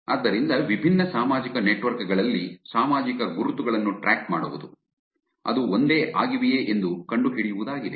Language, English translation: Kannada, So, tracking social footprint identities across different social network which is finding out whether they are the same